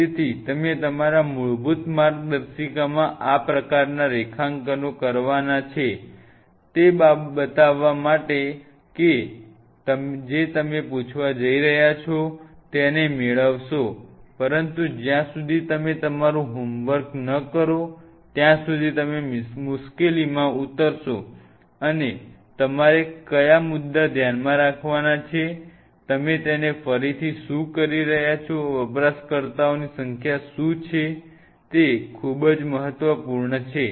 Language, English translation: Gujarati, So, these kind of drawings you have to do in your basic manual to visualize what you are asking for whatever you are going to asking for your going to get that, but unless you do your homework right you will land up in trouble and what are the points what you have to keep in mind, what is your again rehashing it is, what is the number of user this is very important